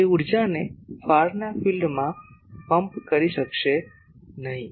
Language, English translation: Gujarati, It would not be able to pump that energy to the far field